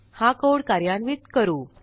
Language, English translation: Marathi, Lets execute the code till here